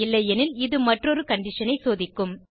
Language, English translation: Tamil, Else it will check for another condition